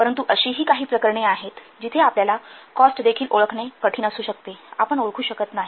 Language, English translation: Marathi, So, but there are some other cases where these costs may be difficult even to identify